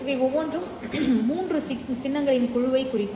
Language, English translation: Tamil, And each of these would be representing a group of 3 symbols